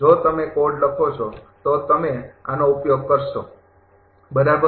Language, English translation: Gujarati, If you write code, you will use this one, right